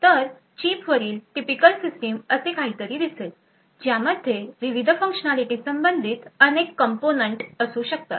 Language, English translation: Marathi, So, a typical System on Chip would look like something like this it could have various components corresponding to the different functionality